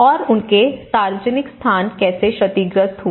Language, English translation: Hindi, And their public places, how they were damaged